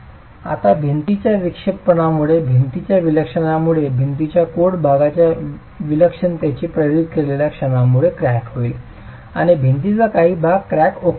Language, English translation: Marathi, Now, due to the deflection of the wall, due to the deflection of the wall because of the moment induced by the eccentricity of the load, part of the wall will crack and part of the wall will remain uncracked